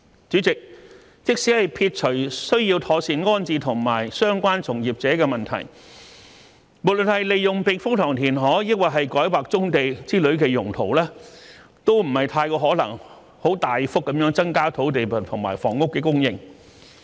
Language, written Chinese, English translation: Cantonese, 主席，即使撇除需要妥善安置相關從業者的問題，無論是利用避風塘填海，還是改劃棕地之類的用途，都不太可能大幅增加土地和房屋供應。, President even if we put aside the need to properly relocate the operators concerned it is still unlikely that land and housing supply can be increased by either reclamation of typhoon shelters or rezoning of brownfield sites or the likes